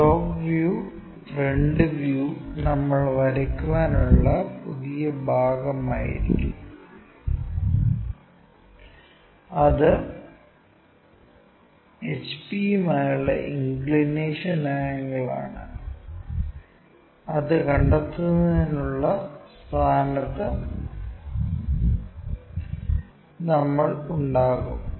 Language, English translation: Malayalam, The top view front view we will be new portion to draw and it is inclination angle with hp also we will be in your position to find it